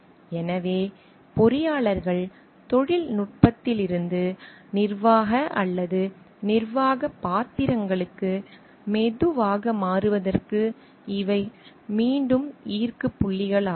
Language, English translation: Tamil, So, these are point of attractions again for the engineers to slowly shift from technical to managerial or administrative roles